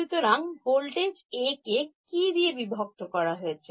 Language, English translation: Bengali, So, voltage A divided by what